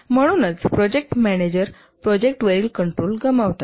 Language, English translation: Marathi, The main problem with this is that the project manager loses control of the project